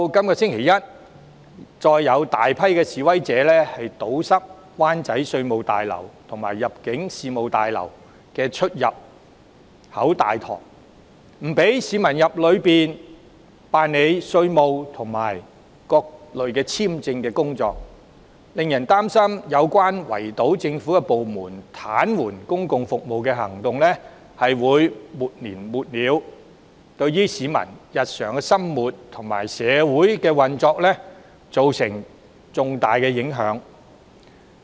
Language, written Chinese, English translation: Cantonese, 本周一，再有大批示威者堵塞灣仔稅務大樓及入境事務大樓的出入口和大堂，阻止市民進入大樓辦理稅務和各類簽證的手續，令人擔心圍堵政府部門、癱瘓公共服務的行動會沒完沒了，對市民日常生活及社會運作造成重大影響。, This Monday large groups of protesters again swamped the entrance and lobbies of the Revenue Tower and the Immigration Tower in Wan Chai stopping people from entering the towers to perform various tax and visa formalities . It is worrying that this kind of actions designed to paralyse public services by way of blockading government departments would go on and on with huge consequences to peoples daily living and social operation